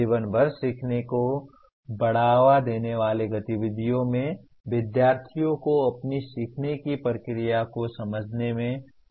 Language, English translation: Hindi, Activities that promote life long learning include helping students to understand their own learning process